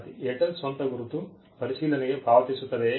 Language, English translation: Kannada, Student: The Airtel pay for the review of the own mark